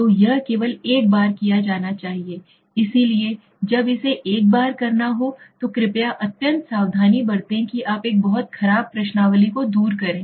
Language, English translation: Hindi, So it has to be done only once, so when it has to be done once please be extremely, extremely careful that you do not give away a very poor questionnaire okay